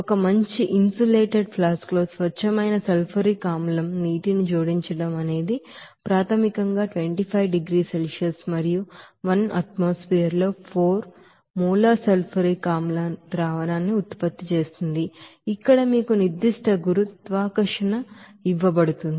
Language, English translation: Telugu, Let us consider that water is added to pure sulfuric acid in a well insulated flask initially at 25 degrees Celsius and 1 atmosphere to produce a 4 molar sulfuric acid solution where specific gravity is given to you